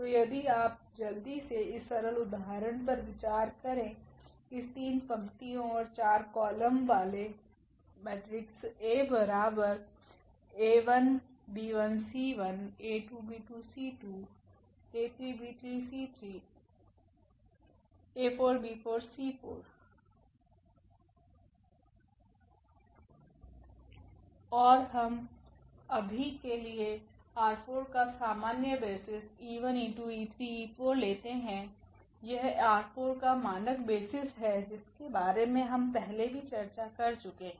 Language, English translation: Hindi, So, if you consider just quickly this simple example of this 3 rows and 4 columns and we take for instance the usual basis here e 1 e 2 e 3 e 4 from R 4 these are the standard basis of R 4 which we have already discussed before